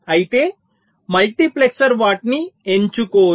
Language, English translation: Telugu, but however, multiplexer will not be selecting them